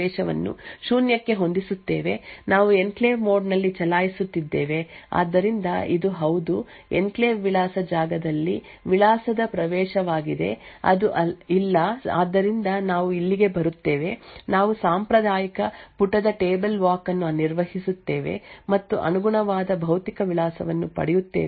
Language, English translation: Kannada, So will follow this again will set enclave access to zero then is it in enclave mode so it is no so we go here perform the traditional page directly page table walk and obtain the corresponding physical address and check whether it is an enclave access